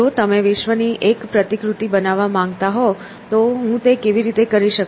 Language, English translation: Gujarati, If you wanted to create a model of the world, how would I do it